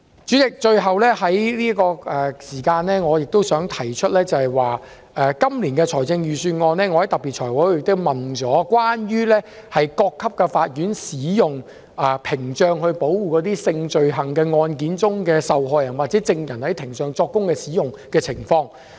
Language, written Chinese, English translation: Cantonese, 主席，我最後想指出，就今年度的預算案，我在財務委員會特別會議問及關於各級法院使用屏障保護性罪行案件受害人或證人的情況。, President I would like to point out lastly that at the special meeting of the Finance Committee concerning this years Budget I asked a specific question about the use of screens to shield the victims or witnesses of sexual offences